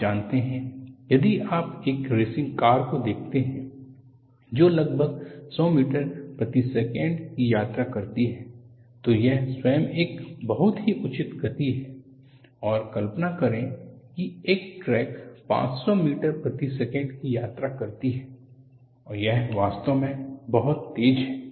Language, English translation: Hindi, You know, if you look at a racing car, that travels around 100 meters per second, that itself with very high speed and imagine, a crack travels at 500 meters per second, it is really very fast